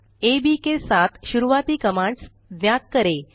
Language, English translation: Hindi, find out the commands starting with ab